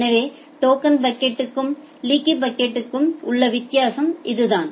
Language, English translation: Tamil, So, that is the difference between token bucket and leaky bucket